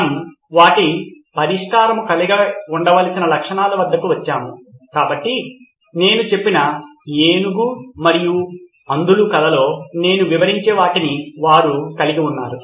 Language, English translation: Telugu, We arrived at the features that their solution should have, so they have sort of what I describe in my elephant and the blind men story